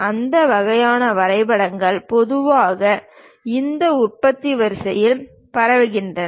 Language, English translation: Tamil, And that kind of drawings usually we circulate across this production line